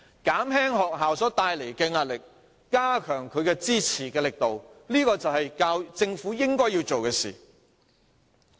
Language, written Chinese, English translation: Cantonese, 減輕學校帶來的壓力，加強它的支持力度，這就是政府應該要做的事。, Can we relieve the pressure? . Relieving the pressure brought by the schools and enhancing their support is an action the Government should take